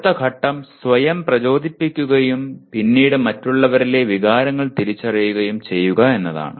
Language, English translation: Malayalam, Next stage is motivating oneself and subsequently recognizing emotions in others